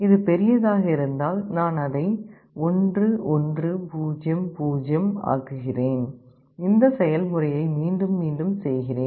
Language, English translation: Tamil, If it is other way round, I make it 1 1 0 0, and I repeat this process